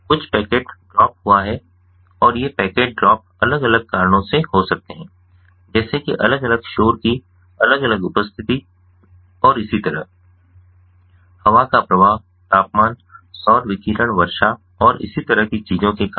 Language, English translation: Hindi, there is some packet drop that has happened and these packet drops could be due to different reasons, such as different presence of different noises, interference and so on, due to things such as air flow, temperature, ah, solar radiation, rainfall and so on